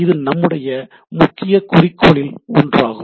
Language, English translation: Tamil, That is one of our, that is a our major goal of the things